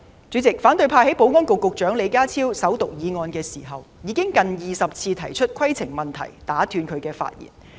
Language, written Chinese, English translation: Cantonese, 主席，反對派在保安局局長李家超首讀議案時近20次提出規程問題打斷其發言。, President when Secretary for Security John LEE moved the First Reading of the Bill those in the opposition camp interrupted him for almost 20 times by raising points of order